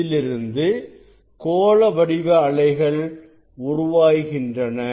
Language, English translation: Tamil, then it is the spherical surface